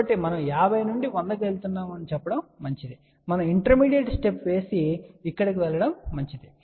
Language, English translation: Telugu, So, it is always better that let us say we are going from 50 to 100, say it is better that we take a intermediate step and then go over here ok